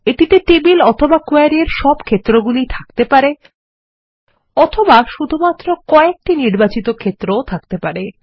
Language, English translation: Bengali, They can also contain all the fields in the table or in the query, or only a selected group of fields